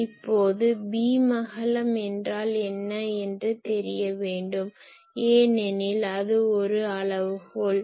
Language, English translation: Tamil, Now, what is the beam width because that is a quantification